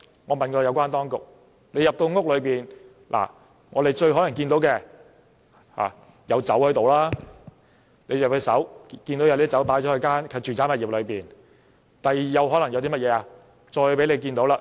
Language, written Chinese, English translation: Cantonese, 我問過有關當局，督察入屋後最有可能看到的是酒，看到有酒擺放在住宅物業內；第二，可能看到數名青少年。, I have asked the authorities and they say that the inspector will most probably see liquor in the domestic premises and second he may see a few young people